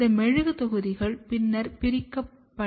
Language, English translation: Tamil, These wax blocks, are then used for sectioning